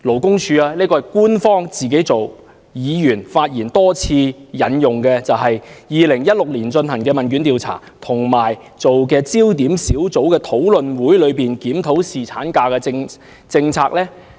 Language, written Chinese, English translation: Cantonese, 剛才為多位議員發言引用，是勞工處在2016年進行的一項官方問卷調查研究，以及一個焦點小組討論會，檢討侍產假政策。, Just now when various Members spoke they referred to an official questionnaire survey conducted by the Labour Department in 2016 and the discussion held by a focus group to review the policy on paternity leave